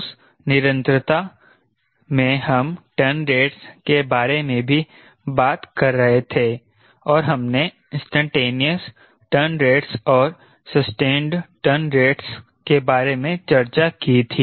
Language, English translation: Hindi, in that continuation we were also talking about turn rates and we discuss loosely about instantaneous turn rates